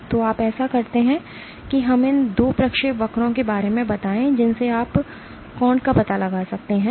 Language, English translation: Hindi, So, you do this for let us say these 2 trajectories you can find out the angle